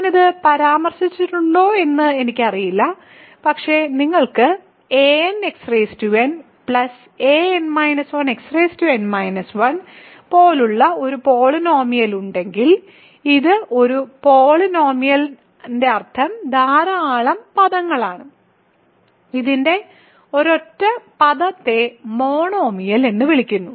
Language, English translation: Malayalam, So, I do not know if I mentioned this, but if you have a polynomial something like a n x n plus an minus 1 x n minus 1 this is a polynomial meaning lot of terms, a single term of this is called a monomial